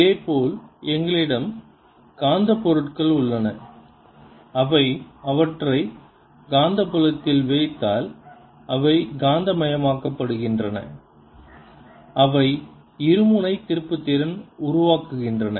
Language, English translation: Tamil, similarly we have magnetic materials where if they you put them in the magnetic field, they get magnetized, they develop a dipole moment